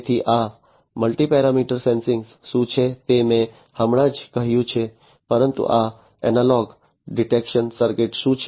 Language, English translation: Gujarati, So, what is this multi parameter sensing is what I just said, but what is this analog detection circuit